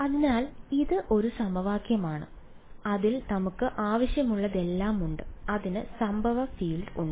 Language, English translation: Malayalam, So, this is an equation which has it has pretty much everything we want it has the incident field